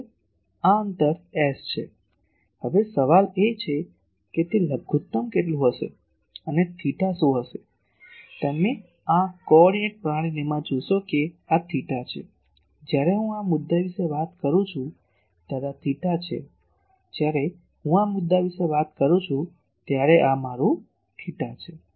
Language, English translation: Gujarati, Now, the question is that where it will be minimum and what is theta, you see in this coordinate system this is theta, when I am talking of this point this is my theta, when I am talking of this point this is my theta ok